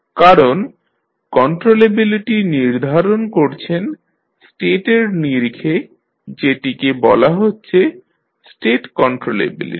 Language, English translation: Bengali, Because you are defining controllability in terms of state it is called as state controllability